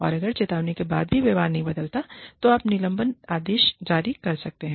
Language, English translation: Hindi, And, if the warning, if the behavior, still does not change, then you issue suspension orders